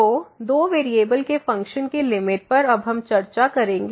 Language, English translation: Hindi, So, Limit of Functions of Two Variables, we will discuss now